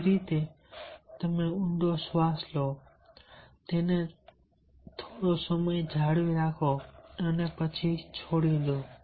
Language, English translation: Gujarati, similarly, deep breathing: you inhale deeply, keep it for sometime, then leave